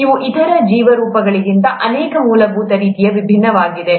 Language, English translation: Kannada, They are different in many fundamental ways from the other life forms